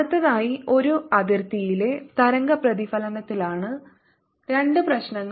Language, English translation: Malayalam, next, two problems are going to be on the reflection of waves on a boundary